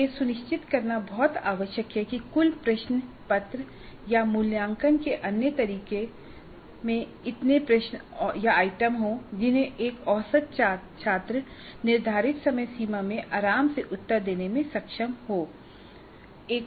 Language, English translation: Hindi, This is very essential to ensure that the total question paper or assessment instrument as technical it is called has the questions or items whose total time is reasonable in the sense that the average student should be able to answer the required number of questions comfortably